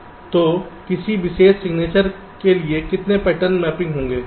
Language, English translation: Hindi, so for any particular signature, how many patterns will be mapping